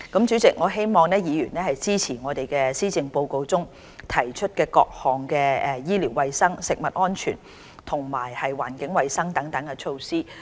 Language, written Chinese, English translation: Cantonese, 主席，我希望議員支持在施政報告中提出的各項醫療衞生、食物安全及環境衞生等措施。, President I hope Members will support the various measures on health food safety environmental hygiene and so on